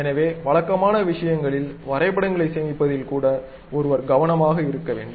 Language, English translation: Tamil, So, one has to be careful even at saving the drawings at regular things